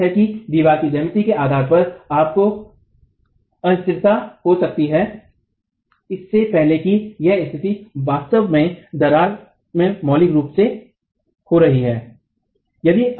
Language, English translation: Hindi, You might, it's true that depending on the geometry of the wall, you can also have instability before this condition is actually occurring in the wall